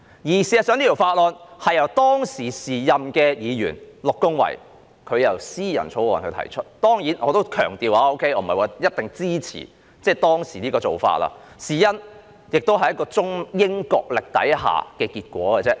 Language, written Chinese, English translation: Cantonese, 事實上，這項法案是由時任議員陸恭蕙提出的私人草案，當然，我要強調這不等於我一定支持當時的做法，因為這亦只是一個在中英角力下的結果。, As a matter of fact it was a private bill proposed by the then Member Ms Christine LOH . Certainly I must emphasize that it does not imply that I would definitely support what was done at that time because it was merely the outcome of the tug - of - war between China and Britain